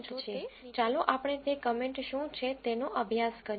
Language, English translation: Gujarati, There are certain comments here, let us study what those comments are